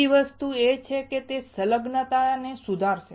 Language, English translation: Gujarati, Second thing is that it will improve the adhesion